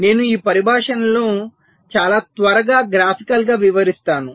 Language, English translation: Telugu, so i shall be explaining these terminologies graphically very shortly